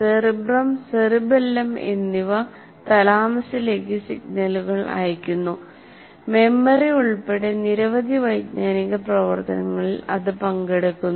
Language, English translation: Malayalam, The cerebrum and cerebellum also send signals to thalamus involving it in many cognitive activities including memory